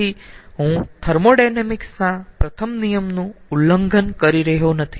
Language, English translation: Gujarati, so i am not violating first law of thermodynamics